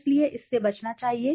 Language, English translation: Hindi, So it should be avoided